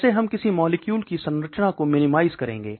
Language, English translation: Hindi, How do we minimize the structures of molecule